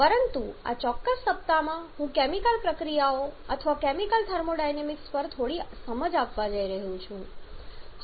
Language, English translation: Gujarati, But in this particular week we are going to give you a little bit of touch on the thermodynamics of chemical reactions or chemical thermodynamics